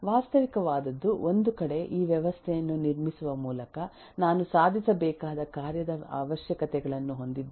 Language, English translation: Kannada, What is realistic is on one side I have the functional requirements of what needs to be achieved by building this system